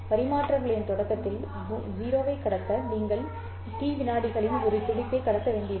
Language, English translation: Tamil, To transmit 0 at the beginning of the transmission, you might, you will have to transmit a pulse of duration T seconds, right